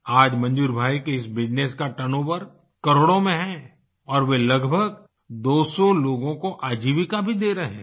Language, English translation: Hindi, Today, Manzoor bhai's turnover from this business is in crores and is a source of livelihood for around two hundred people